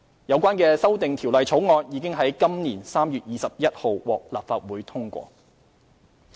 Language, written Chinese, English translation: Cantonese, 有關的修訂條例草案已於今年3月21日獲立法會通過。, The relevant Amendment Bill was passed by the Legislative Council on 21 March this year